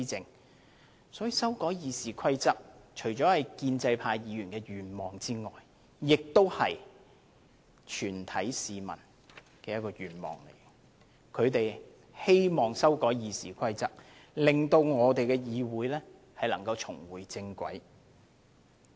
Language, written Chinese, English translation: Cantonese, 因此，修改《議事規則》除了是建制派議員的願望之外，亦是全體市民的願望，他們希望修改《議事規則》令議會重回正軌。, Therefore amending RoP is not only the wish of pro - establishment Members but also that of the community at large . They hope that the order of this Council can be restored